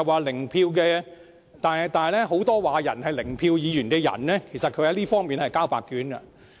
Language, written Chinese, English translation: Cantonese, 然而，很多說別人是"零票議員"的議員，在這方面是交白卷的。, While accusing others as Members with zero vote the opposition Members have largely achieved nothing on the basis of these criteria